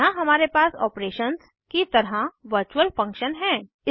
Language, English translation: Hindi, Here we have virtual function as operations